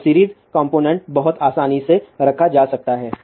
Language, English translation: Hindi, So, series component can be very easily put